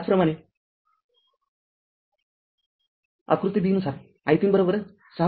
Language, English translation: Marathi, Similarly, figure b your i 3 is equal to 6